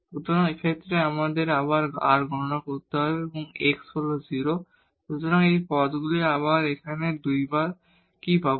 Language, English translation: Bengali, So, in this case we need to again compute this r, so x is 0, so these terms, so what we will get here 2 times